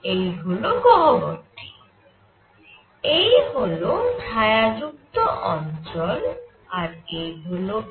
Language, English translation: Bengali, So here is this cavity, this was the shaded region and this is a